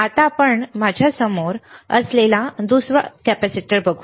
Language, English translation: Marathi, Now let us see the another one which is right in front of me